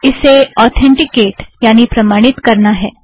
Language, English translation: Hindi, It asks for authentication